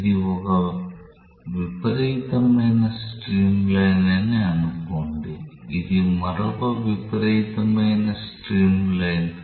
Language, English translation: Telugu, Let us say that this is one extreme streamline this is another extreme streamline